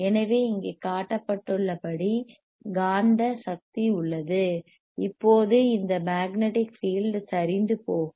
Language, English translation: Tamil, So, magnetic energy is present there right this is what ias shown here; now once this is there the magnetic field will start collapsing